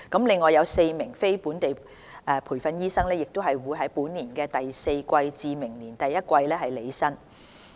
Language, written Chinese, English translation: Cantonese, 另外4名非本地培訓醫生亦將於本年第四季至明年第一季履新。, Four more non - locally trained doctors will assume office between the fourth quarter of this year and the first quarter of next year